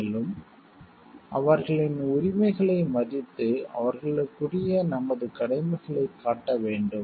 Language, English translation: Tamil, And, to respect their rights, and show our corresponding duties towards them